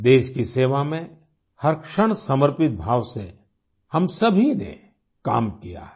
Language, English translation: Hindi, All of us have worked every moment with dedication in the service of the country